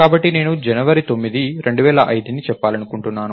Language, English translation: Telugu, So, I want to do lets say 9th of January 2005